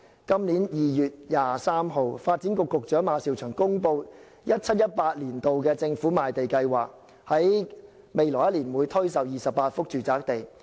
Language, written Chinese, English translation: Cantonese, 今年2月23日，發展局局長馬紹祥公布 2017-2018 年度政府賣地計劃，來年推售28幅住宅地。, On 23 February this year Eric MA the Secretary for Development unveiled the 2017 - 2018 Land Sale Programme under which 28 residential sites will be put up for sale in the coming year